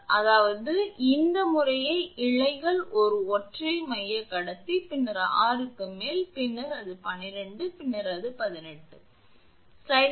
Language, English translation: Tamil, So, that means, it is strands respectively this is single centre conductor then above that 6, then about that 12, then about that 18